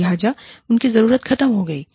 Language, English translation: Hindi, So, their need is gone